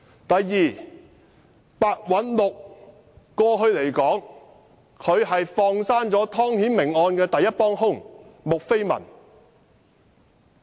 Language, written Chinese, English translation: Cantonese, 第二，白韞六過去放生了湯顯明案的第一幫兇穆斐文。, Second Simon PEH let off Julie MU the principal accomplice in the Timothy TONG case